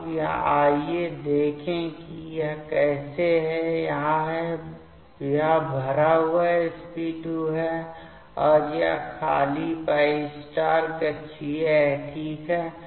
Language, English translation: Hindi, Now, let us check how this, this is the, this is the filled sp2, and this is the empty π* orbital ok